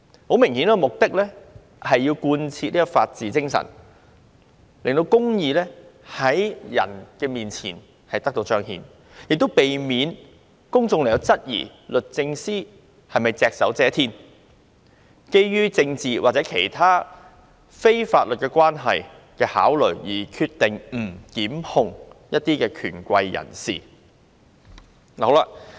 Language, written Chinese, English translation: Cantonese, 很明顯，目的是要貫徹法治精神，讓公義能夠在人前彰顯，亦避免公眾質疑律政司是否隻手遮天，基於政治或其他非法律關係的考慮，決定不檢控一些權貴人士。, Obviously the purpose is to realize the spirit of the rule of law and manifest justice and to prevent suspicion that the Secretary for Justice is manipulating the situation and that her decision not to prosecute certain influential people is made under political or other non - legal considerations